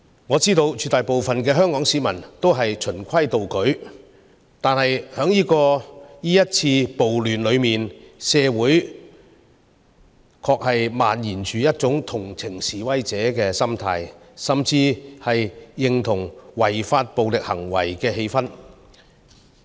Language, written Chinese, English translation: Cantonese, 我知道絕大部分香港市民都是循規蹈矩的，但在這次暴亂之中，社會確實漫延着一種同情示威者的心態，甚至認同違法暴力行為的氣氛。, I know that the overwhelming majority of Hong Kong people are law - abiding . But undeniably in the civil disturbances this time a sentiment is spreading in society which sympathizes with the protesters and an atmosphere that echoes the use of unlawful and violent means